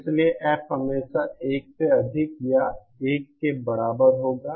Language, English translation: Hindi, Therefore F will always be greater than or equal to 1